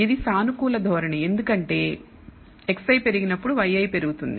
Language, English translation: Telugu, This is a positive trend because when x i increases y i increases